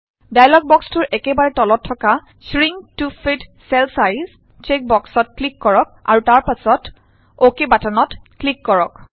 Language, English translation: Assamese, At the bottom of the dialog box, click on the Shrink to fit cell size check box and then click on the OK button